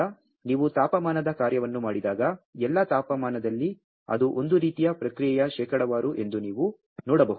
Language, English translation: Kannada, So, when you do as a function of temperature, then as you can see that not at all temperature it as similar kind of response percent